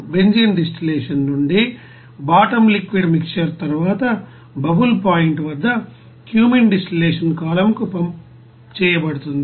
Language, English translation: Telugu, The bottom liquid mixer from the benzene distillation is then pumped at bubble point to the Cumene distillation column